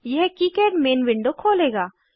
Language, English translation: Hindi, This will close the KiCad main window